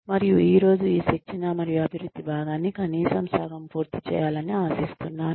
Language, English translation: Telugu, And, I hope to finish this part, at least half of training and development today